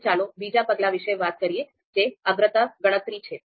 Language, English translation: Gujarati, The second step is on priority calculation